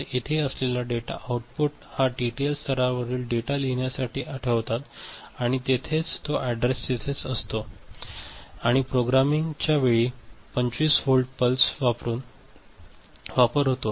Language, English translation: Marathi, So, these data outputs that are there ok, there only the data is placed for writing the TTL level the data and these are the address that will be there and at that time a programming pulse that is there of 25 volt is used